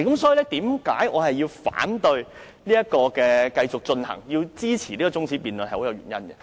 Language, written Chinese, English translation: Cantonese, 所以，這是我反對繼續進行辯論，支持這項中止待續議案的原因。, This is the reason why I oppose the continuation of the debate and support this adjournment motion